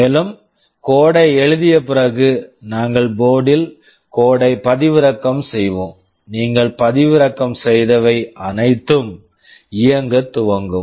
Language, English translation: Tamil, And, after writing the code we shall be downloading the code on the board and, whatever you have downloaded, it will start running